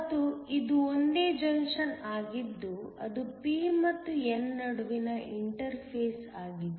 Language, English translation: Kannada, And, it is a single junction that is the interface between p and n